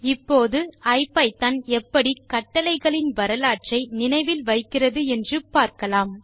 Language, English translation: Tamil, Now lets see how the ipython remembers the history of commands